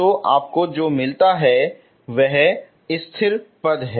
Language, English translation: Hindi, So what you get constant term